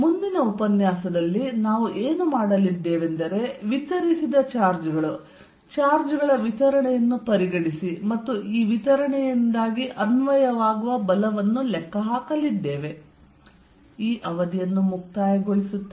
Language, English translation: Kannada, What we are going to do in the next lecture is consider distributed charges, distribution of charges and calculate force due to this distribution